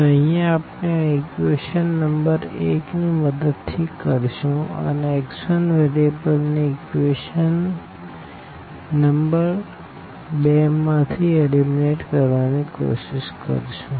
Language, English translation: Gujarati, So, here what we are doing now with the help of this equation number 1, we are trying to eliminate this x 1 variable from the equation number 2